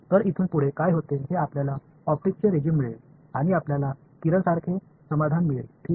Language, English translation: Marathi, So, what happens over here is you get this is a regime of optics; and you get ray like solutions right ok